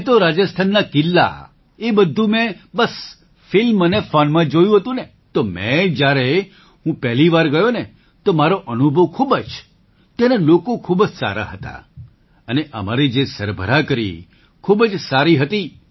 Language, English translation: Gujarati, I had seen all these forts of Rajasthan only in films and on the phone, so, when I went for the first time, my experience was very good, the people there were very good and the treatment given to us was very good